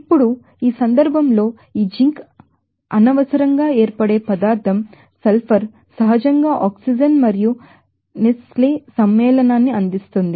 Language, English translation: Telugu, Now in this case this zinc is unnecessarily occurring substance sulfur is naturally occurring oscine and also that Nestle offering compound